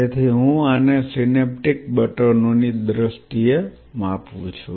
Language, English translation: Gujarati, So, I am quantifying this in terms of synaptic buttons